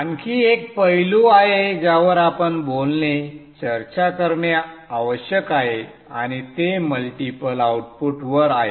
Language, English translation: Marathi, There is one more aspect that we need to talk of, discuss and that is on multiple outputs